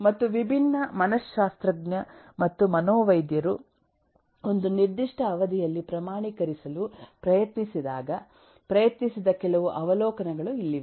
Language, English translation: Kannada, and here some of the observations that eh eh, different psychologist and physiatrist have eh tried to quantify over a period of time